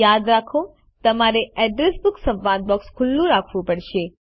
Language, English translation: Gujarati, Remember, you must keep the Address Book dialog box open